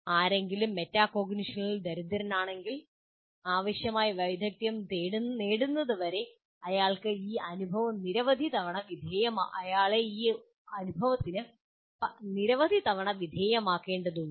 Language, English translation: Malayalam, But if somebody is poor in metacognition, he needs to undergo this experience several times until he picks up the required skill